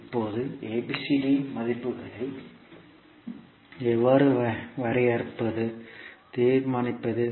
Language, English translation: Tamil, Now, how we will define, determine the values of ABCD